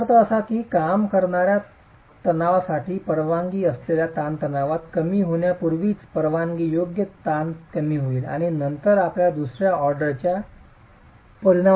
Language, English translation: Marathi, 2 which means the permissible stress is going to be reduced so much, already have reduced the permissible stresses to account for the working stresses and then you further reduce it to account for the second order effects